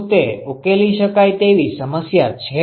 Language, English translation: Gujarati, Is it a solvable problem